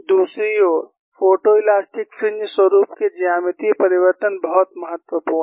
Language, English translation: Hindi, On the other hand, the geometrical changes of the photo elastic fringe patterns are very significant